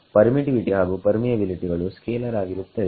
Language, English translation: Kannada, The permittivity and permeability are scalars